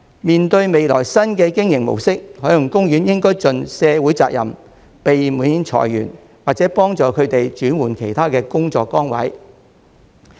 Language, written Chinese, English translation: Cantonese, 面對未來新的經營模式，海洋公園應盡社會責任，避免裁員，或協助他們轉換其他工作崗位。, While a new mode of operation will be adopted in the future OP should fulfil its social responsibility by avoiding layoffs or assisting its staff to switch to other posts